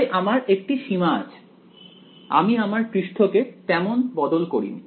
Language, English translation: Bengali, So, I have in the limit I have not really change the surface